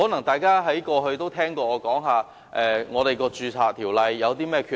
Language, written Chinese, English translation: Cantonese, 大家過去可能曾聽我討論《條例》的缺憾。, Members might have heard my discussions on the defects of CMO in the past